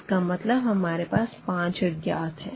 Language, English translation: Hindi, So, this is a case where we have 5 unknowns actually